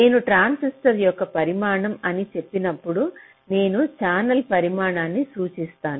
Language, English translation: Telugu, so when i say the size of a transistor means i refer to the size of a channel